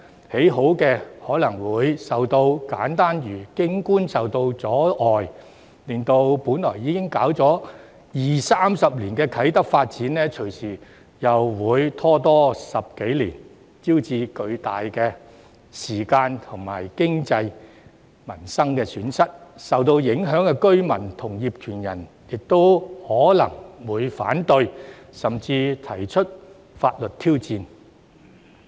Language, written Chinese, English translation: Cantonese, 已建好的可能景觀會受到阻礙，令本來已發展二三十年的啟德發展，隨時又再拖延10多年，招致巨大的時間和經濟損失，受到影響的居民和業權人亦可能會反對，甚至提出法律挑戰。, The views of the completed buildings may be obstructed and the Kai Tak Development which has already been developed for 20 to 30 years may possibly be delayed for another 10 years or so incurring huge time and economic losses . Affected residents and property owners may also raise objection or even legal challenges